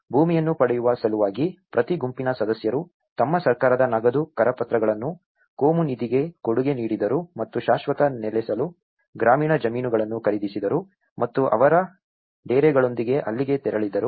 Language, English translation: Kannada, And in order to obtain the land, each group member contributed its government cash handouts into a communal fund and bought rural plots of land for permanent settlement and moved there with their tents